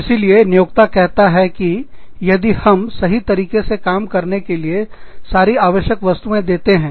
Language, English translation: Hindi, So, employer say that, if we give you everything you need, to do your job, properly